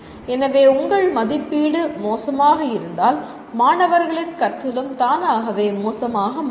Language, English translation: Tamil, So if you, your assessment is poor, automatically the students will, the learning by the students will also be poor